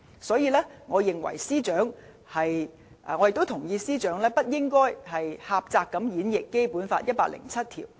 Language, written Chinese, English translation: Cantonese, 所以，我同意司長不應該狹窄演繹《基本法》第一百零七條。, Therefore I agree to the Secretary that we should not narrowly interpret Article 107 of the Basic Law